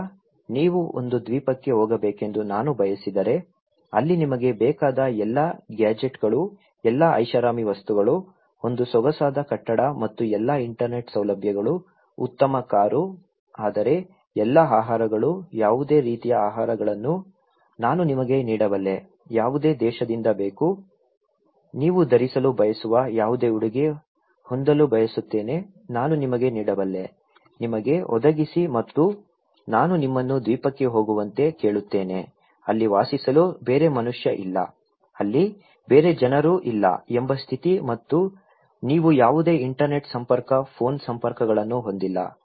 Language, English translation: Kannada, Now, if I want you to go to an island, where I can give you all the gadgets you want, all the luxury items, a swanky building and all the Internet facilities, a good car but all the foods, any kind of foods you want from any country, any dress you want to wear, want to have, I can give you, provide you and I ask you to go to an island, live there, a condition is that there is no other human being, no other people there and you have no internet connection, phone connections